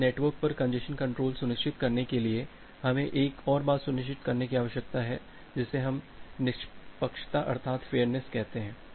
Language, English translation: Hindi, So, to ensure congestion control over the network we need to ensure another thing which we call as the fairness